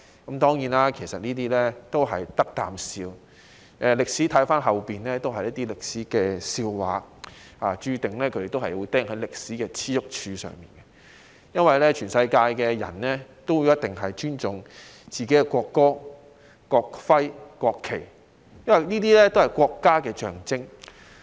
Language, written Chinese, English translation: Cantonese, 現在回望，這些當然都是不值一哂的言論，而他們也注定會被釘在歷史的耻辱柱上，因為全世界人民都必定會尊重自己的國歌、國徽和國旗，這些都是國家的象徵。, As we look back now with hindsight such remarks are of course worth nothing but a laugh and these people are also destined to be nailed on the pillar of shame in history because it is a must for all people around the world to have respect for the symbols of their country ie . their national anthem national emblem and national flag . Take the five - starred red flag of our country as an example